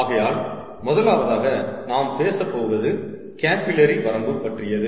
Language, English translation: Tamil, so the first one we are talking about is the capillary limit